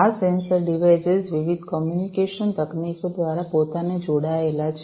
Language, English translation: Gujarati, These sensor devices are connected themselves, through different communication technologies